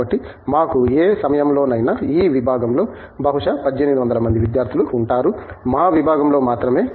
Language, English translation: Telugu, So, we have about any given time, the department probably has about 1800 students on roll, our department alone